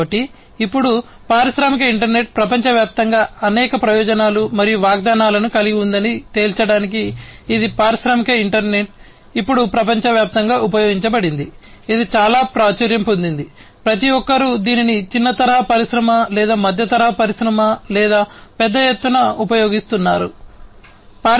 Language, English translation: Telugu, So, now to conclude industrial internet has many benefits and promises across the globe, it is industrial internet is now globally used it is quite popular, everybody is using it whether it is a small scale industry or a medium scale industry, or a large scale industry